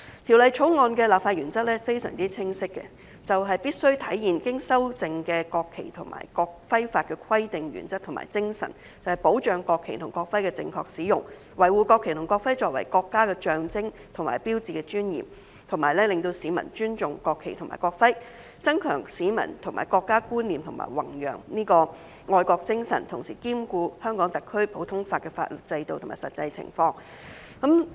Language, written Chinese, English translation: Cantonese, 《條例草案》的立法原則相當清晰，就是必須體現經修正的《國旗法》及《國徽法》的規定、原則和精神，保障國旗及國徽的正確使用，維護國旗及國徽作為國家的象徵和標誌的尊嚴，使市民尊重國旗及國徽，增強市民的國家觀念和弘揚愛國精神，同時兼顧香港特區的普通法法律制度及實際情況。, The legislative principle of the Bill is to reflect the provisions principles and spirit of the amended National Flag Law and the amended National Emblem Law safeguard the proper use and preserve the dignity of the national flag and the national emblem which are the symbols and signs of our country so as to promote respect for the national flag and national emblem enhance the sense of national identity among citizens and promote patriotism whilst taking into account our common law system and the actual circumstances in Hong Kong